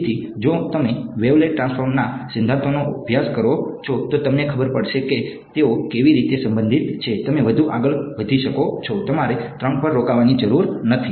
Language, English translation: Gujarati, So, if you study the theory of wavelet transforms you will know how they are very related, you can go even more, you do not have to stop at 3 right